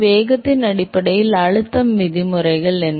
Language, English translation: Tamil, What are the pressure terms in terms of velocity